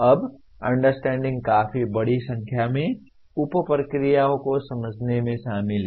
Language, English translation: Hindi, Now understanding has fairly large number of sub processes involved in understanding